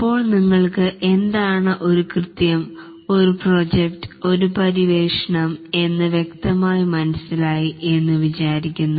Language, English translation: Malayalam, Now I hope that we are clear about what is the difference between a task, a project and an exploration